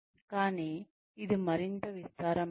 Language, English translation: Telugu, But, it is more spread out